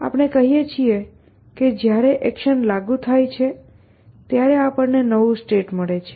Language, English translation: Gujarati, We say that when the action is applied we get a new state